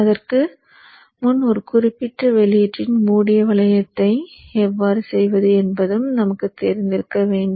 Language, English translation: Tamil, So before that we should also know how to do close looping of a particular output